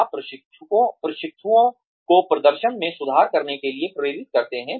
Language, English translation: Hindi, You motivate trainees, to improve performance